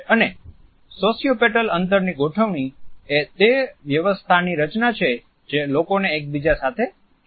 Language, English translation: Gujarati, And sociopetal space arrangements are those arrangements which are based on those patterns which pull people together